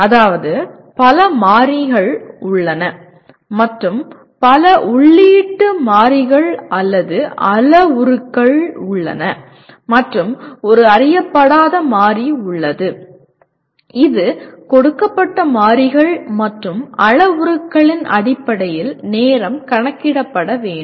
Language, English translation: Tamil, That means there are several variables and there are several input variables or parameters and there is one unknown variable that is the time taken needs to be computed based on the given variables and parameters